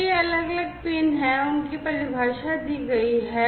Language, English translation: Hindi, So, these are the different pins and their definitions are given